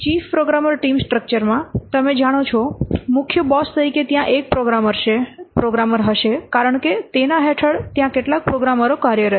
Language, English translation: Gujarati, In chief programmer team structure you know, there will be a single programmer as the chief as the boss